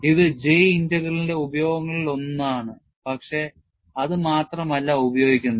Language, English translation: Malayalam, That is one of the uses of J Integral, but that is not the only use